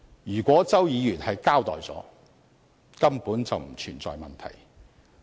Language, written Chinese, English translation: Cantonese, 如果周議員交代了，根本便不存在問題。, If Mr CHOW had informed the Select Committee accordingly there would be no problem at all